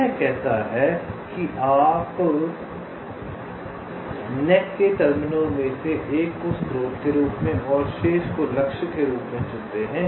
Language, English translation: Hindi, it says you select one of the terminals of the net as a source and the remaining as targets